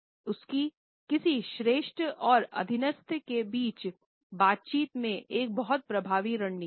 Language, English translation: Hindi, This is a very effective strategy in a dialogue between a superior and subordinate